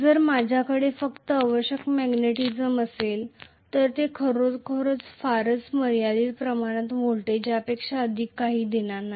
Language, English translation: Marathi, If I have only residual magnetism it is actually going to give very very limited amount of voltage nothing more than that,right